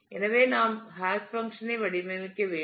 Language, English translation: Tamil, So, we need to design a hash function